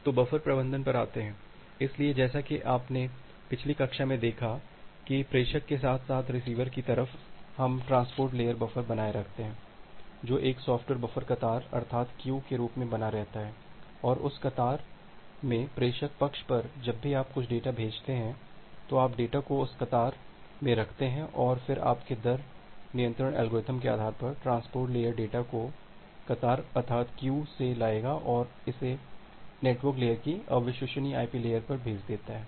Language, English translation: Hindi, So, coming to the buffer management; so, as you have looked into the last class that at the sender side as well as at the receiver side, we maintain a transport layer buffer which is a software buffer maintain as a queue and in that queue, at the sender side, whenever you are sending some data, you put the data in that queue and then based on your rate control algorithm, the transport layer will fetch the data from the queue and send it to the unreliable IP layer of the network layer